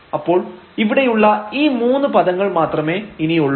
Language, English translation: Malayalam, So, we have only this these three terms here